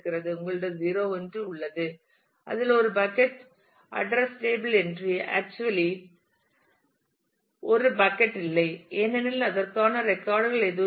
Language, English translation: Tamil, You have 0 1 which has a bucket address table entry actually does not have a bucket because there is no records for that